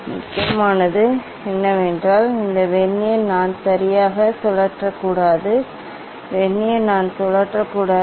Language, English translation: Tamil, important is that this Vernier I should not rotate ok; Vernier I should not rotate